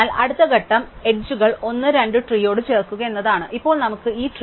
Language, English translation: Malayalam, So, the next step in the tree is to add the edges 1, 2 and now, we have this tree